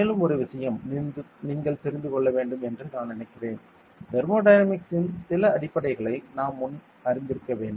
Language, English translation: Tamil, And one more thing that I think you should know is; some basics of thermodynamics that we must have known before ok